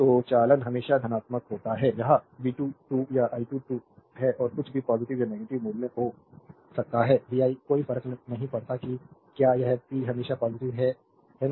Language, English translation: Hindi, So, conductance is always positive it is v square or i square; whatever may be the positive or negative value, vi does not matter if this p is always positive, right